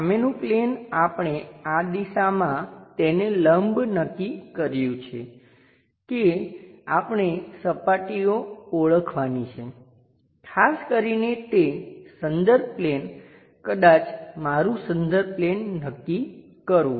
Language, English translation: Gujarati, The front plane we have decided to have this one in the direction normal to that we have to identify the surfaces, especially identify that reference plane perhaps my reference plane